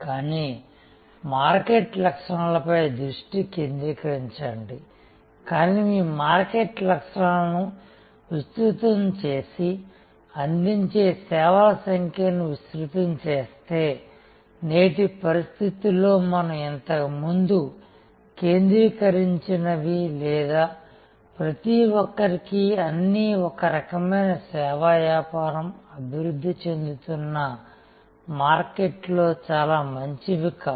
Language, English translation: Telugu, But, remain focused on the market characteristics, but if you widen the market characteristics and widen the number of services offered, in today’s condition what we called earlier unfocused or everything for everyone is a kind of service business, not very tenable in emerging markets